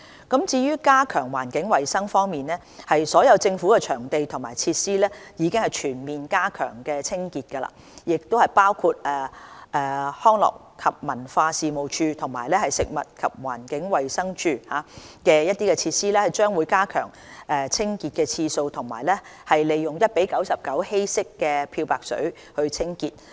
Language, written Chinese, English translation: Cantonese, 加強環境衞生所有政府的場地和設施已全面加強清潔，包括康樂及文化事務署及食物環境衞生署的設施將會增加清潔的次數及利用 1：99 的稀釋漂白水清潔。, Enhancing environmental hygiene The Government has enhanced full cleaning of all of its venues and facilities . For example the Leisure and Cultural Services Department and the Food and Environmental Hygiene Department FEHD will step up the cleaning schedule of their facilities with 1col99 diluted bleach